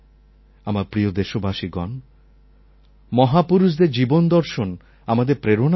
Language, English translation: Bengali, My dear fellow citizens, the lives of great men will always inspire us